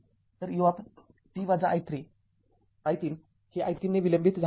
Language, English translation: Marathi, So, this is u t minus t 0 that it delayed by t 0